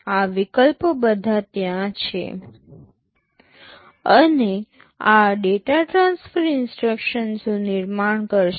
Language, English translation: Gujarati, These options are all there, and these will constitute data transfer instructions